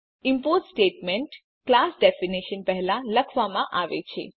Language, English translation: Gujarati, The import statement is written before the class definition